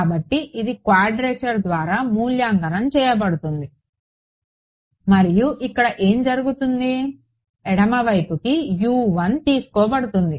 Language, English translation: Telugu, So, this can be evaluated by quadrature right fine and from here what will happen U 1 will be taken back to the left hand side